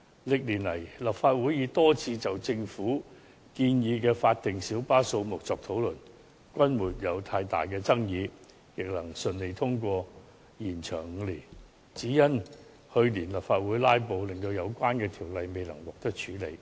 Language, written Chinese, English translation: Cantonese, 歷年來，立法會已多次就政府建議的法定小巴數目作討論，均沒有太大爭議，亦順利通過延長5年的議案，只是由於去年立法會"拉布"，使相關議案未能獲得處理。, Over the years the Legislative Council has held many discussions on the Governments proposal for the statutory number of PLBs which has met with little controversy . Motions on extending the period for five years were also passed . However in the midst of last years filibustering in the Legislative Council the relevant motion was not dealt with